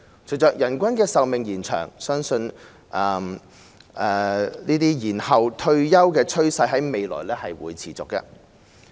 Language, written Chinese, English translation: Cantonese, 隨着人均壽命延長，延後退休的趨勢未來相信會持續。, With longer average life expectancies the trend of deferring the retirement age is expected to continue in the future